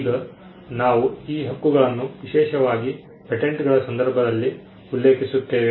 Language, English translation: Kannada, Now, this we are referring to these rights especially in the context of patents